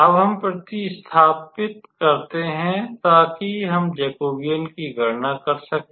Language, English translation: Hindi, So, now we can calculate this Jacobian here